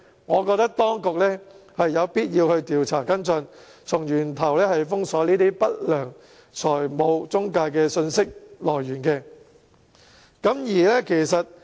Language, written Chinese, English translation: Cantonese, 我覺得當局有必要調查跟進，從源頭封鎖不良財務中介的信息來源。, I think it is necessary for the Administration to investigate and block the source of information of unscrupulous financial intermediaries